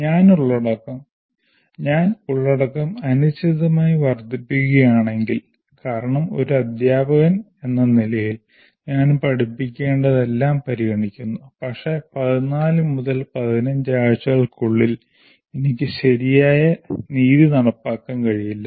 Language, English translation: Malayalam, If I increase the content indefinitely because as a teacher I consider all that should be learned, but I will not be able to do a proper justice during the 14 to 15 weeks